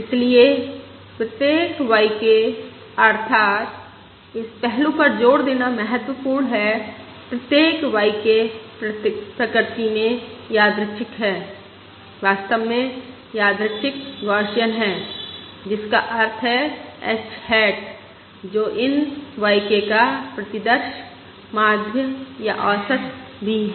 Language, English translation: Hindi, Therefore, each y k, that is it is important to stress this aspect each y k is random in nature, in fact random Gaussian, which means h hat, which is the sample, mean or average of these y k, is also in nature h hat